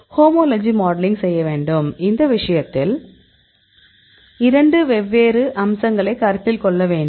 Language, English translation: Tamil, We have to do homology modeling; in this case we consider two different aspects